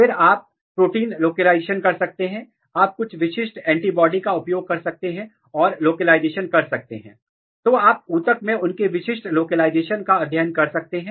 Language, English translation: Hindi, Then you can do protein localization, you can use some specific antibody and localize you can study their specific localization in across the tissues